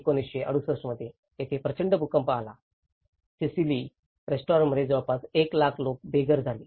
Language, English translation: Marathi, In 1968, there has been a vast earthquake which has destroyed the restaurant Sicily almost leaving 1 lakh people homeless